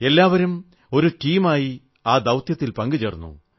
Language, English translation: Malayalam, All of them came together as a team to accomplish their mission